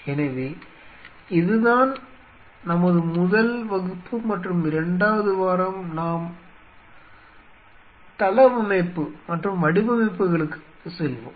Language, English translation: Tamil, So, with this; this is our first class and the second week we will move on to the layout and designs